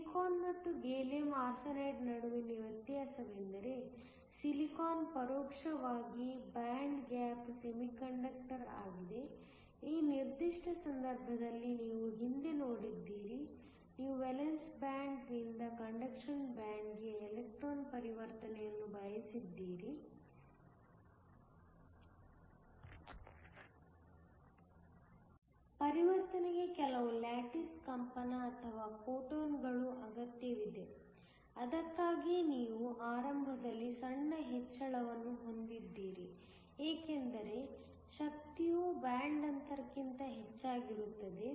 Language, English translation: Kannada, The difference between Silicon and Gallium Arsenide is that silicon is an indirect band gap semiconductor, in this particular case you have seen earlier, if you want an electron transition from the valence band to the conduction band, the transition needs some lattice vibration or phonons to help it, which is why you have a small increase initially, when the energy is more than the band gap